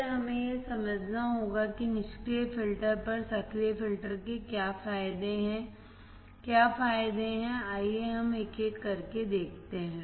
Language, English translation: Hindi, Then we have to understand what are the advantages of active filters over passive filters, what are advantages, let us see one by one